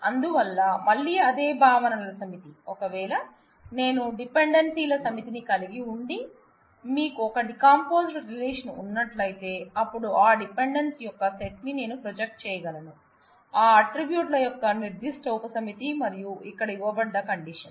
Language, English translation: Telugu, So, again the same set of concepts that, if I have a set of dependencies and you have a decomposed relation then smaller relation, then I can project that set of dependencies, in terms of a particular subset of the attributes and here is the condition that is given